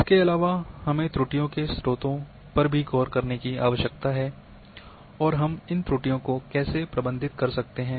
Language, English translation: Hindi, Therefore,we need to look into the sources of errors and how we can manage the errors